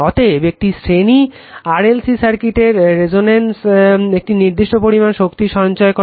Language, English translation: Bengali, Therefore a series RLC your series RLC circuit at resonance stores a constant amount of energy right